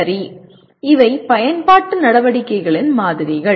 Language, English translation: Tamil, Okay, these are samples of apply activities